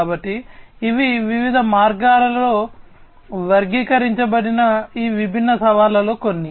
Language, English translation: Telugu, So, these are some of these different challenges categorized in different ways